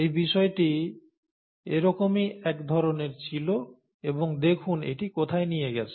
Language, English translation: Bengali, This study was one such kind and look at where it has led to